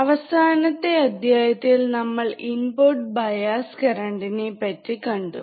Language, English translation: Malayalam, So, last lecture, we have seen the input bias current, right